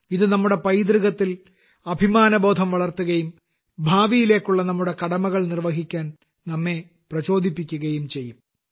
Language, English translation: Malayalam, This will instill in us a sense of pride in our heritage, and will also inspire us to perform our duties in the future